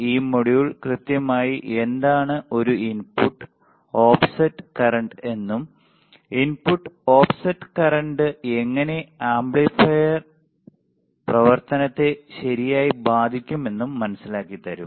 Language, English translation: Malayalam, This module we will see what exactly is an input, offset current and how does input offset current effects the amplifier operation right